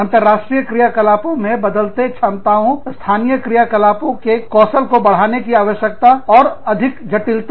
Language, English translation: Hindi, Changing capabilities of international operations, with increased needs for, up skilling of local operations and greater complexity